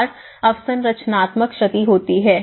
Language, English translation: Hindi, And, infrastructural damage